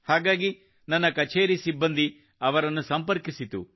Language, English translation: Kannada, So my office contacted the person